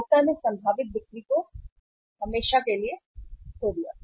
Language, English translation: Hindi, Lost the consumer or the potential sale forever